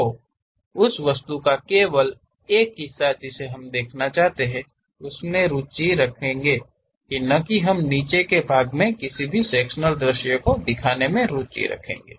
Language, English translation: Hindi, So, only part of that object we would like to really show; we are not interested about showing any cut sectional view at bottom portion